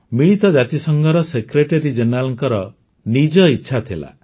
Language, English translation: Odia, Yes, it was the wish of the Secretary General of the UN himself